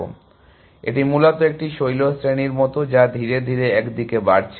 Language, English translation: Bengali, So, it is like a ridge essentially, which is slowly increasing in one direction